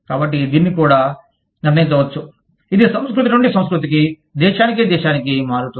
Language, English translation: Telugu, So, that can also be determined by, it varies from culture to culture, country to country